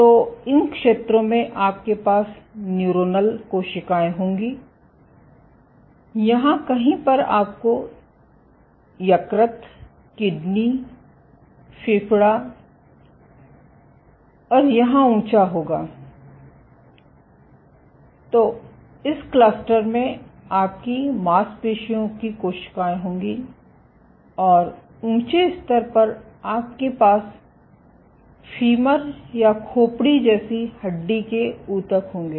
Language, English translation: Hindi, So, in these zones you will have neuronal cells, in somewhere here you would have liver, kidney, lung and high here, then in this cluster you will have muscle cells and high up you will have bone tissue like femur or skull